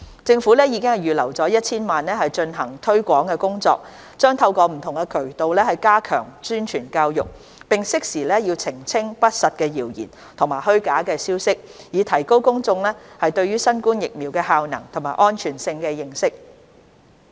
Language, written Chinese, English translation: Cantonese, 政府已預留 1,000 萬元進行推廣工作，將透過不同渠道加強宣傳教育，並適時澄清不實的謠言和虛假消息，以提高公眾對新冠疫苗的效能和安全性的認識。, The Government has earmarked 10 million for promotion and will strengthen publicity and education through various channels . We will also suitably clarify rumours and misinformation so as to increase the publics understanding of the effectiveness and safety of COVID - 19 vaccines